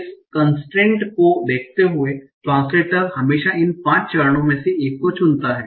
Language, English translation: Hindi, Given this constraint, that is the translator always chooses among from one of these five phases